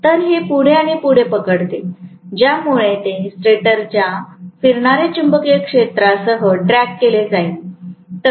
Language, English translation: Marathi, So, it catches up further and further because of which it will be dragged along with the revolving magnetic field of the stator